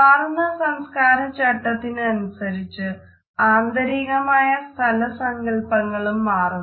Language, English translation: Malayalam, So, we find that with changing cultural norms the interior space designs also change